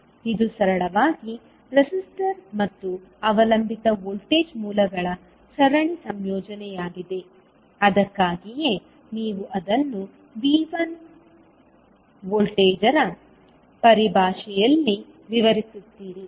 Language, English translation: Kannada, So this is simply a series combination of the resistor and the dependent voltage source that is why you define it in terms of voltage V1